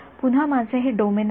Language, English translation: Marathi, This is my domain again